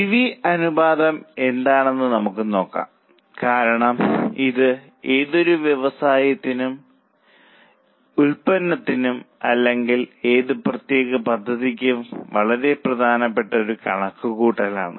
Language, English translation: Malayalam, We will just have a look at what is PV ratio because it is a very important calculation for any business, for any product or for any particular plant